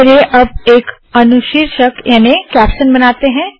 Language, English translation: Hindi, Let us now create a caption